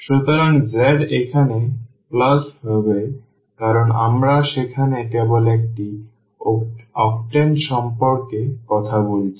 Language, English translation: Bengali, So, z will be plus here because we are talking about just one octane there